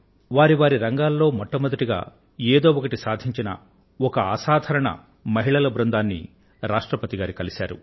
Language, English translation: Telugu, He met a group of extraordinary women who have achieved something significanty new in their respective fields